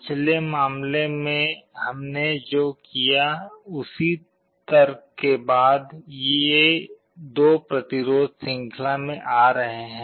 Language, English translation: Hindi, Following the same argument what we did for the previous case, these 2 resistances are coming in series